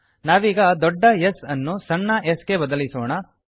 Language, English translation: Kannada, Let us replace the capital S with a small s